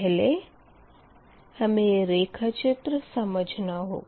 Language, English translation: Hindi, first you have to understand this diagram